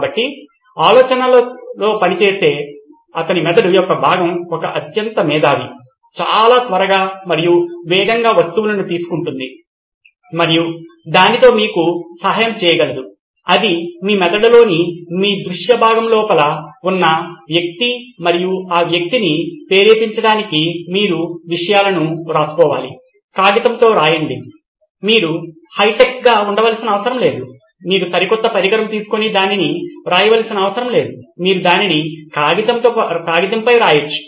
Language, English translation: Telugu, So that the part of the brain that’s working on the idea is a super fast genius who takes things so quickly and rapidly and can help you out with that, that’s the guy inside your visual part of the brain and for that person to get triggered you need to write things down, write it on a piece of paper, you don’t have to be high tech, you don’t have to take the latest gadget and write it on, you can write it on a piece of paper even that’s great